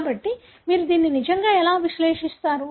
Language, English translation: Telugu, So, how do you really analyze that